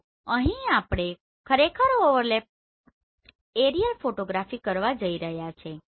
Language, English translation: Gujarati, So here what exactly we are doing we are going to do the overlapped aerial photography